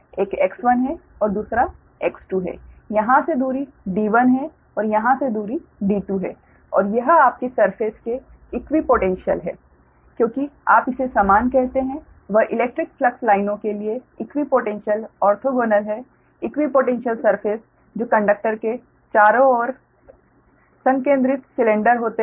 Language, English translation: Hindi, from here the distance is d one and from here distance is d two, right since the, and it is equipotential, your surface, since the, what you call equi, that is equi orthogonal to the electric flux lines, the equipotential surfaces are concentric cylinders surrounding the conductor